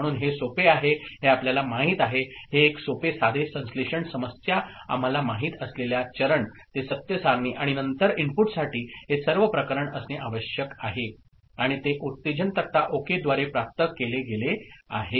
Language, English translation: Marathi, So, this is a simple you know synthesis problem the steps we know that truth table, and then this is what is required for the input to be all those cases, and that is obtained through excitation table ok